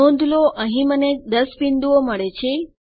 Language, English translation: Gujarati, notice I get 10 points here